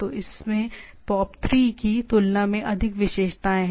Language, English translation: Hindi, So, it has more features than POP3